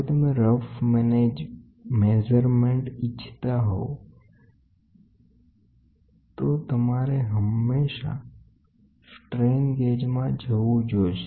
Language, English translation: Gujarati, If you want to have a rough measurements, then we always go with strain gauge load cells